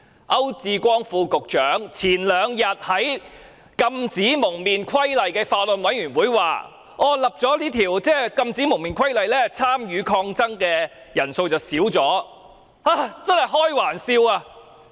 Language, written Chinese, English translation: Cantonese, 區志光副局長前兩天在《禁止蒙面規例》小組委員會會議上表示，在實施《禁止蒙面規例》後，參與抗爭的人數已有所減少，這實在是開玩笑。, At a meeting of the Subcommittee on Prohibition on Face Covering Regulation held two days ago the Under Secretary for Security Sonny AU advised that the number of people participating in protests had declined after the implementation of the Regulation but this is merely a joke